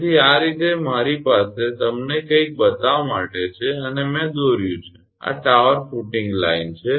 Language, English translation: Gujarati, So, this way I have some just to show you something and I have drawn this is the tower footing line